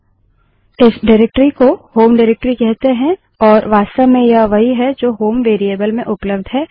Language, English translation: Hindi, This directory is called the home directory and this is exactly what is available in HOME variable